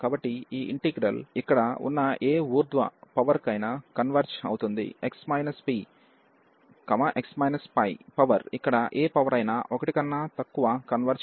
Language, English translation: Telugu, So, this integral converges for any power here x minus p, x minus pi power any power here less than 1 this integral converges